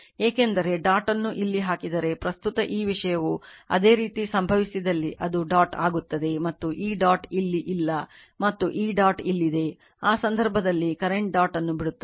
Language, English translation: Kannada, Because if you put the dot here if currently this thing similarly similarly if it happened that is dot is here, and this dot is not there and this dot is here